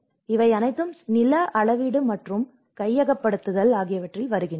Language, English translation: Tamil, So, all this comes in the land survey and acquisition